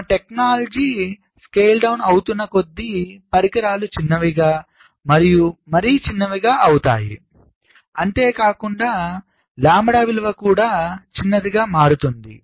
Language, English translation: Telugu, as my technology scales down, devices becomes smaller and smaller, the value of lambda is also getting smaller and smaller